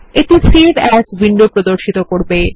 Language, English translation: Bengali, This opens a Save As window